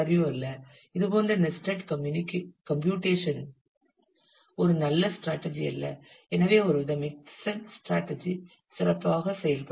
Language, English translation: Tamil, So, this is not LRU for such nested computations may not be a good strategy, so may be some kind of mixed strategy would work better